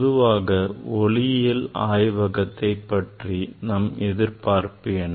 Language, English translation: Tamil, What we expect about the optics laboratory